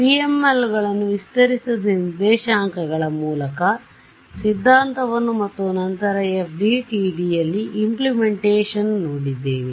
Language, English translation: Kannada, So, we looked at PMLs, we looked at the theory via stretched coordinates and then we looked at the implementation in FDTD